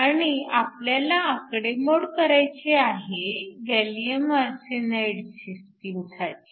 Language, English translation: Marathi, So, we are asked to do this calculation for gallium arsenide